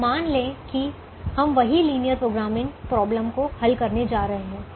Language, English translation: Hindi, now let us assume that we are going to solve the same linear programming problem